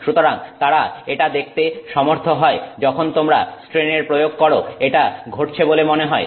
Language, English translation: Bengali, So they were able to see that the when when you apply strain this seems to be happening